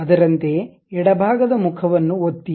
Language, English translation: Kannada, Similarly, click the left side face